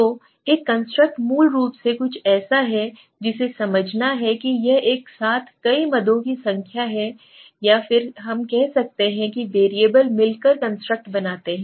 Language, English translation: Hindi, So a construct is basically something which is to understand it is number of items together to make a construct right or you can sometimes say number of variables together to make a construct okay